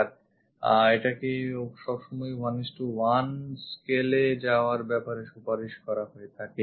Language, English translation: Bengali, And it is always recommended to go with 1 is to 1 scale